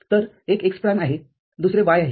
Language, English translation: Marathi, So, one is x prime, another is y